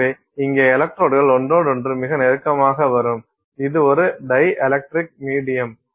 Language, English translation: Tamil, So, here the electrodes will come extremely close to each other and this is a dielectric medium